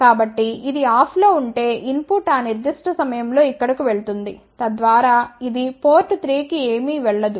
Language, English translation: Telugu, So, if this is off then input will go over here at that particular point this should be on, so that nothing goes to port 3